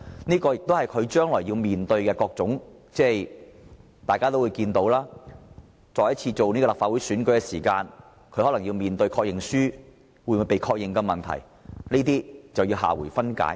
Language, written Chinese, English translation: Cantonese, 這亦是他將來要面對的種種問題，因為大家也知道，當他再次參選立法會時，可能要面對確認書會否獲確認的問題，而這留待下回分解。, These are various issues he has to face in the future . We all know that when he stands for the Legislative Council election again he may have to face the problem of whether his Confirmation Form will be confirmed . This is the next issue to be dealt with